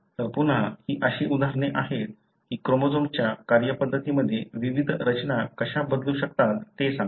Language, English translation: Marathi, So, again these are examples as to how different structures can alter the way the chromosome functions